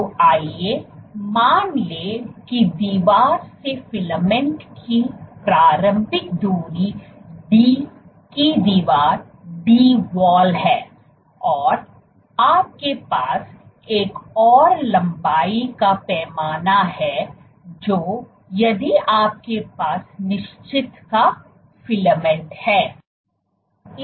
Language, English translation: Hindi, So, let us assume the initial distance of the filament from the wall this distance is D of wall and what you have another length scale which is that if you have a filament of certain